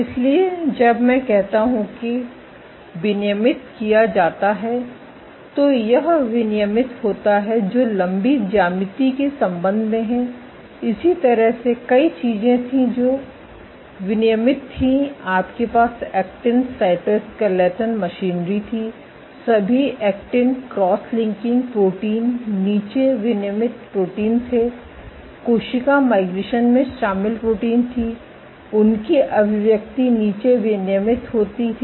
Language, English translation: Hindi, So, when I say up regulated this is up regulated which respect to the elongated geometry similarly there were several things which were down regulated you had actin cytoskeleton machinery, all the actin cross linking proteins were down regulated proteins involved in cell migration their expression was down regulated cell substrate adhesion was perturbed so on and so forth